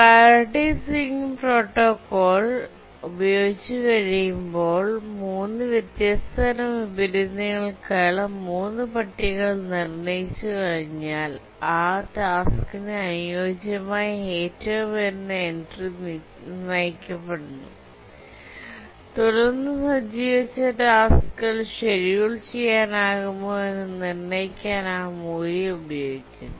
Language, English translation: Malayalam, So once we determine, develop the three tables for three different types of inversion when priority sealing protocol is used, we determine the highest entry corresponding to that task and use that value here and then determine whether the task set can be schedulable